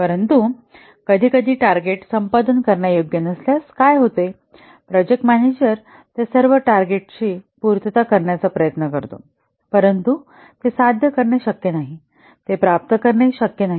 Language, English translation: Marathi, But sometimes what happens if the targets are not achievable, the project manager tries to achieve all those targets, but it's not possible to achieve they are not achievable